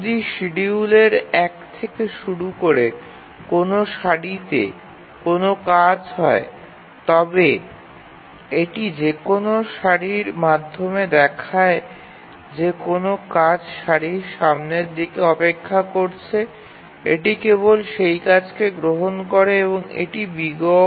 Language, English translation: Bengali, So, if there is any task in a queue starting from 1, the scheduler looks through and in whichever queue it finds that there is a task waiting at the front of the queue, it just takes it and that is O1